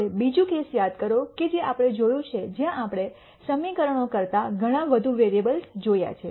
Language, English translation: Gujarati, Now, remember the other case that we saw where we looked at much more variables than equations